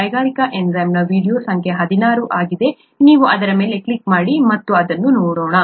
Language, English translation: Kannada, The industrial enzyme is video number 16, you might want to click on that and take a look at that